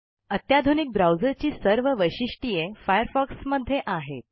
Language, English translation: Marathi, Firefox has all the features that a modern browser needs to have